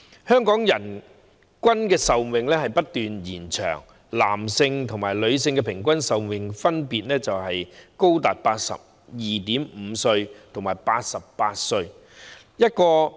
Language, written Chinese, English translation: Cantonese, 香港人均壽命不斷延長，男性和女性平均壽命分別高達 82.5 歲和88歲。, The average life expectancy in Hong Kong has been on the rise with those of men and women standing at respectively 82.5 and 88 years